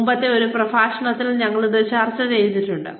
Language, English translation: Malayalam, We have already discussed this, in a previous lecture